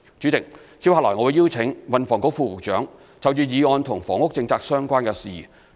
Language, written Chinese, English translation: Cantonese, 主席，接下來，我會邀請運房局副局長就議案與房屋政策相關的事宜作出回應。, President next I will defer to the Under Secretary for Transport and Housing to respond to the motion and issues relating to housing policy